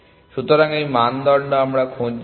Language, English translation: Bengali, So, this is the criteria we are looking for